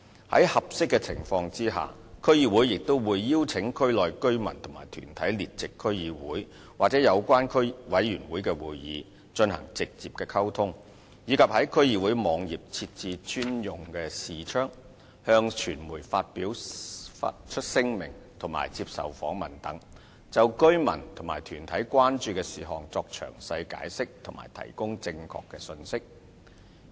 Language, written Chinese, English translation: Cantonese, 在合適的情況下，區議會也會邀請區內居民或團體列席區議會及有關委員會的會議，進行直接溝通，以及在區議會網頁設置專用視窗、向傳媒發出聲明及接受訪問等，就居民或團體關注的事項作詳細解釋及提供正確信息。, In appropriate circumstances DCs will also invite local residents or organizations to attend meetings of DCs and the relevant committees for direct communication and have created a dedicated window on the websites of DCs issued media statements and taken interviews offering detailed explanations and providing accurate messages in response to the concerns of residents or organizations